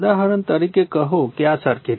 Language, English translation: Gujarati, For example, for example, say take this circuit